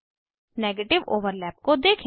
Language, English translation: Hindi, Observe negative overlap